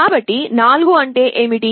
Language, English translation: Telugu, So, what is 4